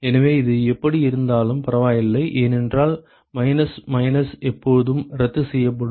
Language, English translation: Tamil, So, it does not matter how it is because the minus minus will always cancel out